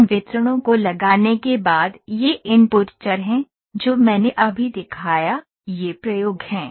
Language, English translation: Hindi, Those is after putting those distribution these are the input variables, that I just showed these are the experiments